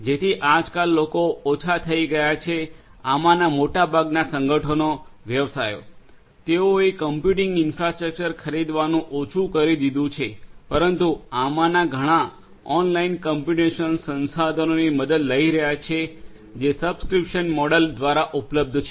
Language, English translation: Gujarati, So nowadays people are have reduced, most of these organizations, the businesses; they have reduced buying the computing infrastructure, but are taking help of many of these online computational resources that are available through subscription models